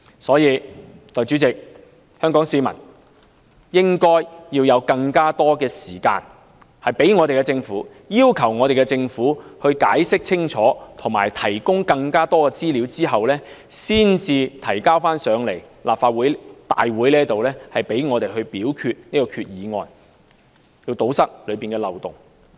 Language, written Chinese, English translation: Cantonese, 代理主席，所以，香港市民應有更多時間，要求政府解釋清楚及提供更多資料，然後才把擬議決議案提交立法會讓我們表決，從而堵塞當中的漏洞。, Hence Deputy President members of the public in Hong Kong should be given more time to request a thorough explanation and more information from the Government before the proposed Resolution is presented to the Legislative Council for us to vote so that its loopholes can be plugged